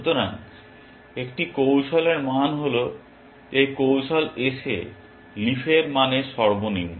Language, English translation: Bengali, So, the value of a strategy is the minimum of the value of leaves in this strategy S